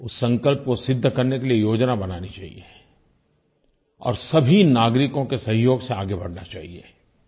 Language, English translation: Hindi, Plans should be drawn to achieve that pledge and taken forward with the cooperation of all citizens